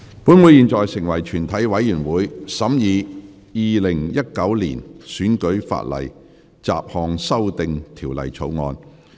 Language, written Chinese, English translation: Cantonese, 本會現在成為全體委員會，審議《2019年選舉法例條例草案》。, Council now becomes committee of the whole Council to consider the Electoral Legislation Bill 2019